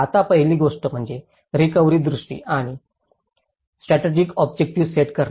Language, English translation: Marathi, Now, the first thing is setting up recovery vision and strategic objectives